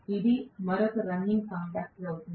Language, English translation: Telugu, This will be the another running contactor